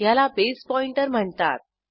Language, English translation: Marathi, This is called as Base pointer